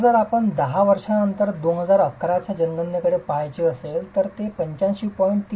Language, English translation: Marathi, Now if you were to look at the 2011 census, 10 years later look at those numbers, they add up to 85